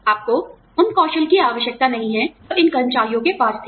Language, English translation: Hindi, You do not need the skills, that these employees had